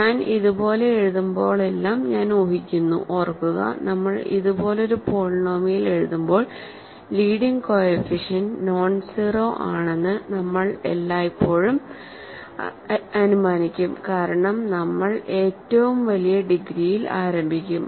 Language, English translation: Malayalam, So, I am assuming whenever I write like this of course, remember, when we write a polynomial like this we will always assume that the leading coefficient is nonzero because we will start with the largest degrees